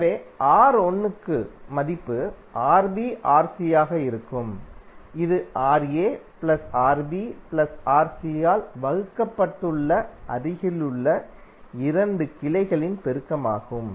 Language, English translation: Tamil, So for R1, the value would be Rb into Rc, that is the multiplication of the adjacent 2 branches divided by Ra plus Rb plus Rc